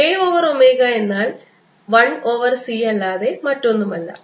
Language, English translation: Malayalam, k over omega is nothing but one over c